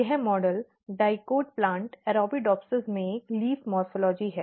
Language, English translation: Hindi, This is a leaf morphology in model dicot plant Arabidopsis